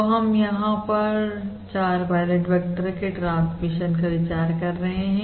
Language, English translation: Hindi, all right, So we have, um we, we are considering the transmission of 4 pilot vectors